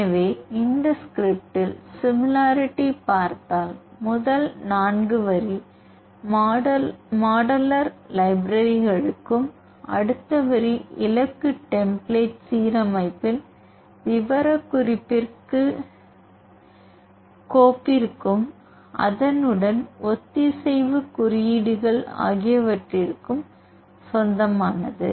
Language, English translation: Tamil, So, in this script if you see similarly the first 4 line corresponding to the modular libraries and the next line belongs to the specification of the target template alignment file, and then the corresponding the align codes